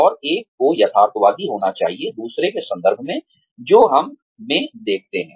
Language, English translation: Hindi, And, one has to be realistic, in terms of, what others see, in us